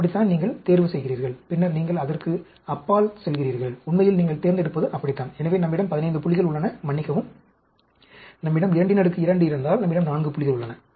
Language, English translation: Tamil, That is how you select, and then, you go beyond that, actually, that is how you select, and so, we have 15 points, sorry, if we have a 2 raised to the power 2, we have 4 points here